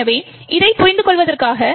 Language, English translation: Tamil, So, in order to understand this